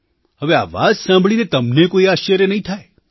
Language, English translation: Gujarati, Of course, you will not be surprised at that